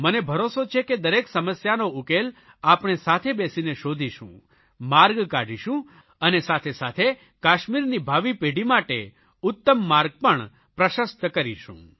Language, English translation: Gujarati, I am very sure that by sitting together we shall definitely find solutions to our problems, find ways to move ahead and also pave a better path for future generations in Kashmir